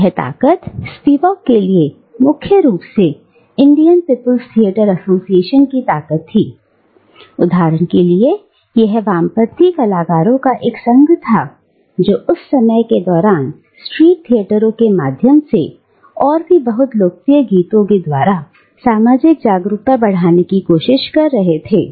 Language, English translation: Hindi, And this force, for Spivak, was primarily the force of the Indian People Theatres' Association, for instance, which was an association of leftist artists who were trying to raise social awareness, during this period of time, through organising street theatres and through very popular songs that were introduced during these theatres